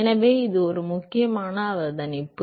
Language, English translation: Tamil, So, that is an important observation